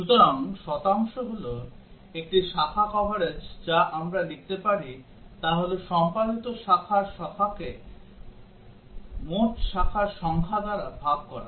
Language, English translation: Bengali, So, the percent is a branch coverage achieved we can write is number of executed branches divided by the total number of branches possible